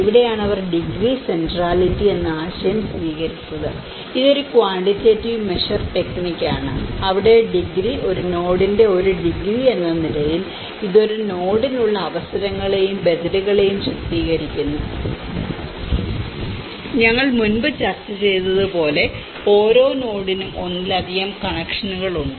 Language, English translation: Malayalam, And this is where they adopted the concept of degree centrality and this is a quantitative measure technique where the degree as a degree of a node and it depict the opportunities and alternatives that one node has, as we discussed in before also how each node has have a multiple connections